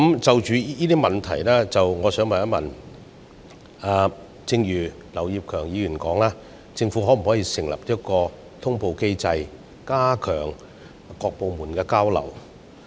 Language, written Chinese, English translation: Cantonese, 就這些問題來說，我想問，正如劉業強議員所說，政府可否設立通報機制，加強各部門的交流？, To address these problems may I ask whether the Government can as suggested by Mr Kenneth LAU put in place a notification mechanism to enhance exchange among various departments?